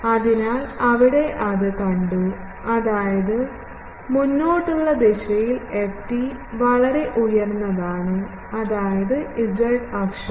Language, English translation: Malayalam, So, there it has been seen that, ft is highly peaked in the forward direction means along the z axis